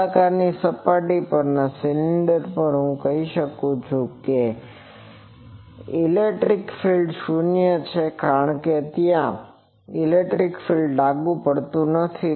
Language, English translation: Gujarati, On the cylinder on the cylindrical surface I can say applied electric field is 0, because we are not applying any electric field there